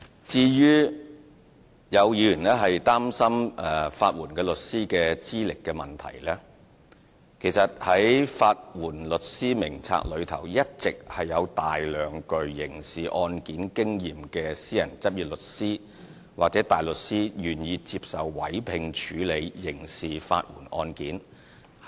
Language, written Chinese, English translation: Cantonese, 至於有議員擔心法援律師的資歷問題，其實在"法援律師名冊"上一直有大量具刑事案件經驗的私人執業律師或大律師，願意接受委聘處理刑事法援案件。, Some Members are concerned about the qualifications of legal aid lawyers . In fact many private lawyers or counsel who are on the Legal Aid Panel have substantive experience in criminal cases . They are willing to handle criminal legal aid cases